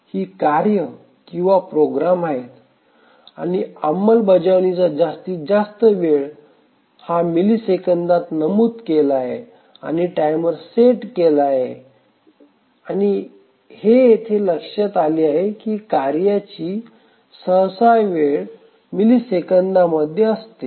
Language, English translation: Marathi, These are the tasks or the programs to run and the maximum execution time is mentioned in milliseconds and the timer is set and just observe here that the tasks are typically the time is in milliseconds